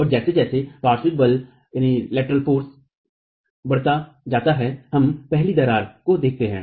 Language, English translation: Hindi, And as the lateral force continues to increase, we see the initiation of the first crack, right